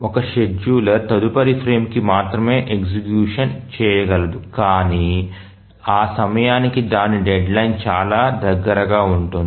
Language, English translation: Telugu, The scheduler can only take up its execution in the next frame but then by that time its deadline is very near